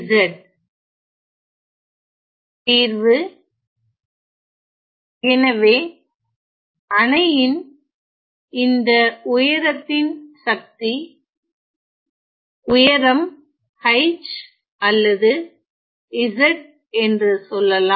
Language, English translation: Tamil, So, power of this height of the dam let us say the height is h or z ok